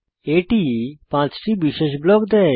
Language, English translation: Bengali, Perl provides 5 special blocks